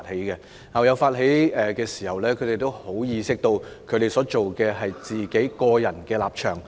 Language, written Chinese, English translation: Cantonese, 當校友發起聯署時，他們意識到所表達的是個人立場。, When the alumni initiated a petition they were aware that it was an expression of their personal stance